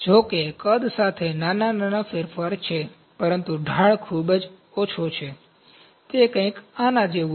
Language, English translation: Gujarati, Though there is small change with the volume, but the slope is too low, it is something like this